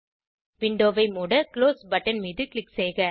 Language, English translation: Tamil, Let us click on Close button to close the window